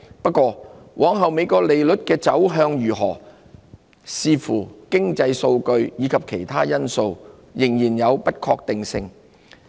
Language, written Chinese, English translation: Cantonese, 不過，美國利率往後的走向如何，將視乎經濟數據及其他因素而定，仍然有不確定性。, Yet the future direction of the interest rates in the United States which would depend on economic data and other factors remains uncertain